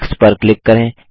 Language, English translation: Hindi, Click on the page